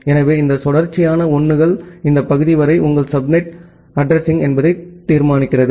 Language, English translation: Tamil, So, these few consecutive 1’s determines that well up to this part is your subnet address